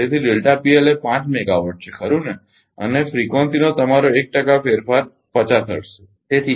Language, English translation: Gujarati, So, delta P L is 5 megawatt right and your 1 percent change in frequency frequency is 50 hertz